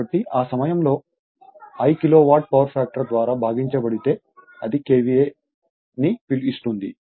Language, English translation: Telugu, So, at that time, if I because this is Kilowatt divided by power factor will give you KVA right